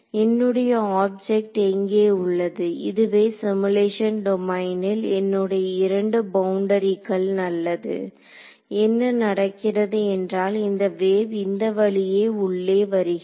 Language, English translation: Tamil, I have my object over here these are the 2 boundaries of my simulation domain fine what is happening is that this wave is entering inside over here